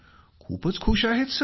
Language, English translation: Marathi, Very very happy sir